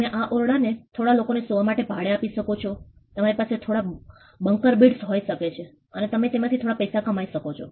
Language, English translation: Gujarati, You could rent this room out for a couple of people to sleep you can have some bunker bits and you can make some money off of it